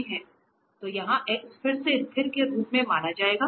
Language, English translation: Hindi, So, here the x will be treated as constant again